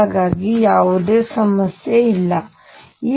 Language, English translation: Kannada, So, there is no problem, this is like that